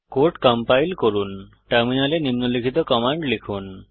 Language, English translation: Bengali, To compile the code, type the following on the terminal